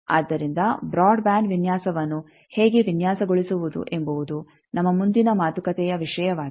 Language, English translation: Kannada, So, that how to design broadband design that will be topic of our next talk